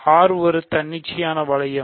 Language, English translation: Tamil, So, R is an arbitrary ring